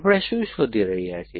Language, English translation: Gujarati, What are we looking for